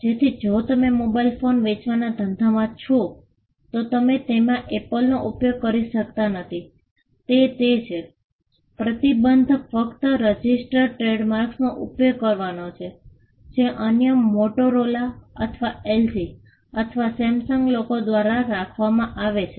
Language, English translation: Gujarati, So, if you are in the business of selling mobile phones, you cannot use Apple on your phone that is it; the only restriction is using registered trademarks, which are held by others say Motorola or LG or Samsung